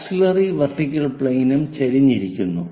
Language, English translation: Malayalam, Auxiliary vertical plane is also inclined, but inclined to vertical thing